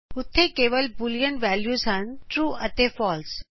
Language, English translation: Punjabi, There are only two boolean values: true and false